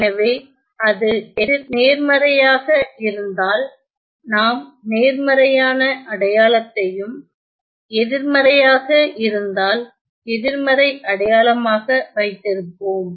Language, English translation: Tamil, So, if it is positive, we will keep the positive sign and negative we will keep the negative sign